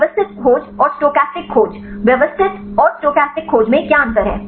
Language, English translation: Hindi, Systematic search and the stochastic search, what are difference between systematic and stochastic search